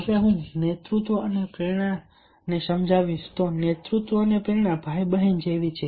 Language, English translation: Gujarati, one can see leadership and motivation is like brother and sister